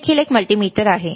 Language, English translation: Marathi, This is also a multimeter all right